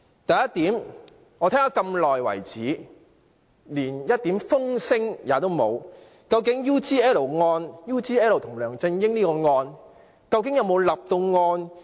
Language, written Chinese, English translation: Cantonese, 第一點，我聽了那麼久，連一點風聲也沒有，究竟 UGL 與梁振英這案件有否立案？, First after listening for a long time not even a slightest news about it is leaked . Has ICAC really opened a file concerning UGL and LEUNG Chun - ying?